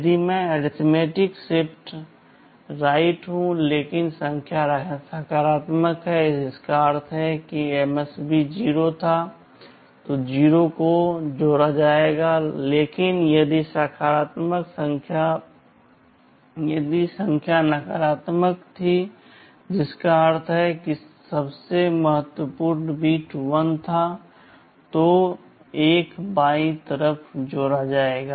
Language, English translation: Hindi, If I say arithmetic shift right, but the number is positive which means the MSB was 0 then 0’s will be added, but if the number was negative which means most significant bit was 1 then 1’s will be added on the left side